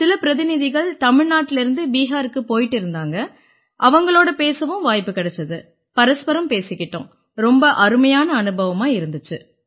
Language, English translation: Tamil, And I also met some delegates who were coming to Bihar from Tamil Nadu, so we had a conversation with them as well and we still talk to each other, so I feel very happy